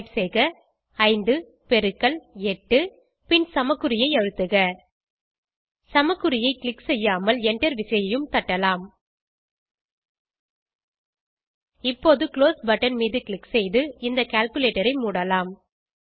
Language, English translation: Tamil, Type 5*8 and press = sign Instead of pressing = sign, you can also press the enter key Now exit this calculator by pressing the close button